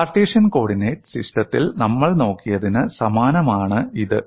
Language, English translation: Malayalam, It is very similar, to what we have looked at in Cartesian coordinate system